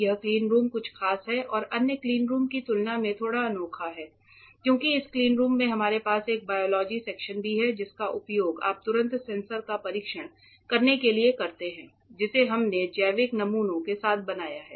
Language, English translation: Hindi, This cleanroom is something special it is little bit unique compared to other cleanrooms in that this in this cleanroom we also have a biology section which you use to immediately test the sensors that we have built with biological specimen ok